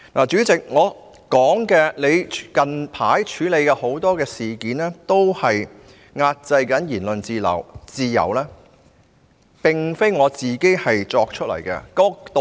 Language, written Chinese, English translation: Cantonese, 主席，我說你近來在處理很多事件上壓制言論自由，並非無中生有。, President my comment that you have recently suppressed freedom of speech in handling many incidents is not unfounded